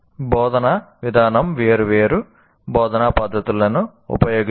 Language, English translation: Telugu, And then an instructional approach will use different instructional methods